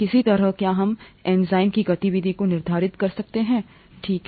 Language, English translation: Hindi, How do we quantify the activity of the enzyme, okay